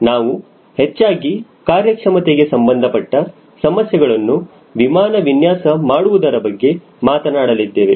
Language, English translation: Kannada, we will be mostly talking about performance related issues in designing an aircraft